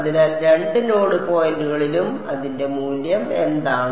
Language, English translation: Malayalam, So, at both the node points what is its value